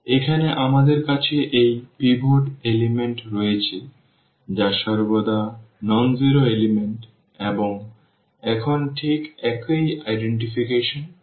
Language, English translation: Bengali, Here we have these pivot elements which are always nonzero elements and, now what exactly the same identification